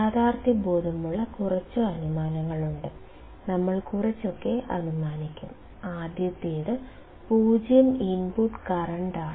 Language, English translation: Malayalam, There are few assumptions that areis realistic and we will assume something; the first one is 0 input current